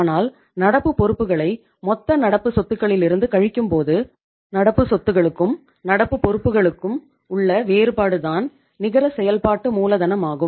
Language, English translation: Tamil, But when you subtract the current liabilities from gross current assets then that difference is that is the current assets minus the current liabilities is the net working capital